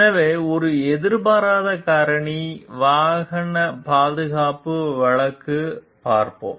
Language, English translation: Tamil, So, let us look into the case of unanticipated factor, auto safety